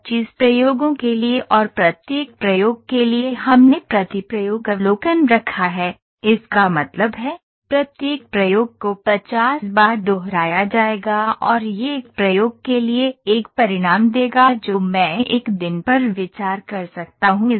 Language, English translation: Hindi, So, 25 experiments and for each experiment we have put observation per experiment; that means, each experiment would be repeated 50 times and that would give a result for one experiment I can consider one day